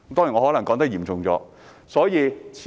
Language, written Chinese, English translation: Cantonese, 我可能說得嚴重了一些。, I may have overstated the severity